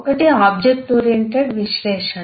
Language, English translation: Telugu, one is the object oriented analysis